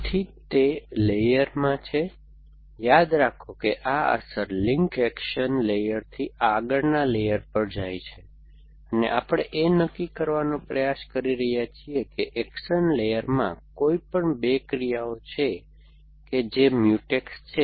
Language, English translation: Gujarati, So, that is in the layer, remember that this effect links go from the action layer to the next layer and we are trying to decide whether any 2 actions in the action layer or Mutex or not